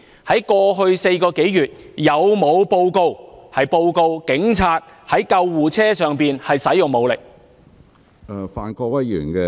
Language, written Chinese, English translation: Cantonese, 在過去4個多月，有否報告表示警察曾在救護車上使用武力？, Over the past four months or so have there been any reports of Police use of force on board ambulances?